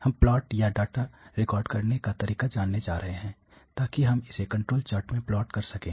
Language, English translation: Hindi, We are going to learn out plot or how to record the data, so that we can plot it in the control charts